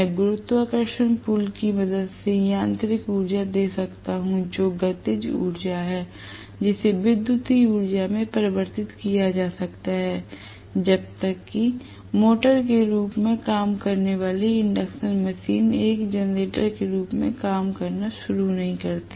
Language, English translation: Hindi, I am giving mechanical energy with the help of may be the gravitational pull, which is a kinetic energy that can be converted into electrical energy in which case the induction machine until now what was operating as a motor will start functioning as a generator